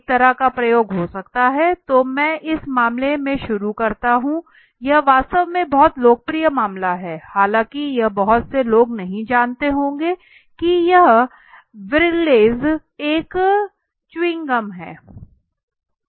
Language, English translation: Hindi, Could be a kind of an experiment okay so let me start with this case this is very popular case in fact although it is many people might not be knowing it is origin Wrigley’s is a chewing gum if you heared about it